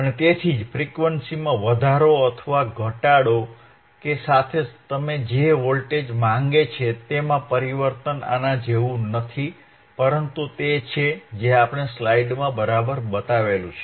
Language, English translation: Gujarati, And that is why, the change in the voltage that you seek, or with increase or decrease in the frequency is not exactly like this, but it is similar to what we have shown in the in the slide all right